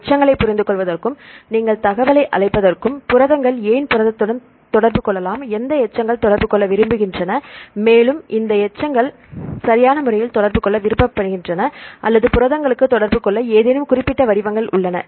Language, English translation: Tamil, So, to understand the residues and you call the information, why are the proteins can protein interact and which residues are preferred to interact and these residues are preferred to interact right or any specific patterns available for it to proteins to interact